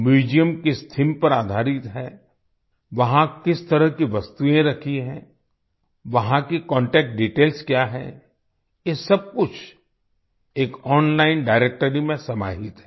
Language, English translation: Hindi, On what theme the museum is based, what kind of objects are kept there, what their contact details are all this is collated in an online directory